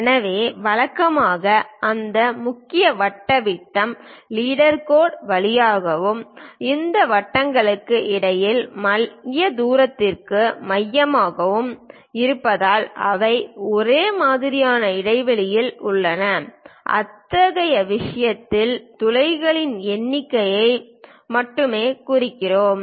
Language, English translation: Tamil, So, usually we represent that main circle diameter through leader line and also center to center distance between these circles because they are uniformly spaced in that case we just represent number of holes